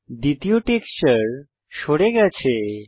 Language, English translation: Bengali, The second texture is removed